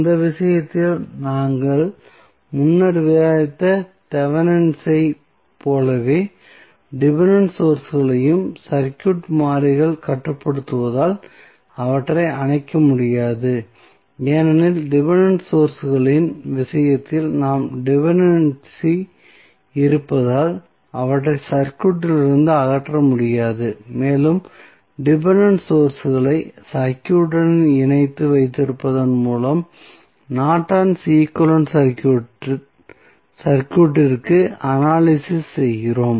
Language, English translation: Tamil, So, in that case, the as with the Thevenin's we discussed previously the Independent sources cannot be turned off as they are controlled by the circuit variables, since we have the dependency in the case of dependent sources, we cannot remove them from the circuit and we analyze the circuit for Norton's equivalent by keeping the dependent sources connected to the circuit